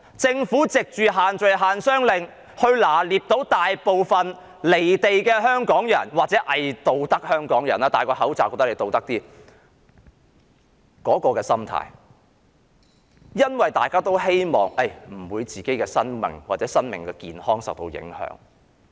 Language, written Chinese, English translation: Cantonese, 政府藉限聚令及限商令抓緊大部分"離地"港人或偽道德香港人的心態——他們佩戴了口罩，便以為自己有道德——希望自己的生命或健康不受影響。, The social gathering and business restrictions have enabled the Government to grasp the mentality of those unrealistic or hypocritical Hong Kong people who think that they have already fulfilled their obligations by wearing a face mask in the hope that their lives or health will not be affected